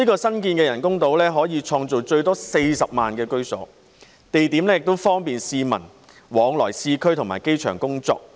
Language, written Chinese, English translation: Cantonese, 新建的人工島可以創造最多40萬個居所，地點亦方便市民往返市區及機場工作。, Up to 400 000 residential units can be provided on the new artificial islands and the location is convenient for the residents to commute to and from the urban areas or the airport for work